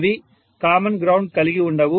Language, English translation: Telugu, They do not have a common ground